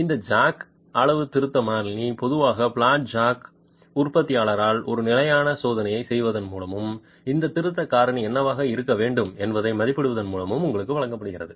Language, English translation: Tamil, This jack calibration constant is typically provided to you by the manufacturer of the flat jack by doing a standard test and estimating what should be this correction factor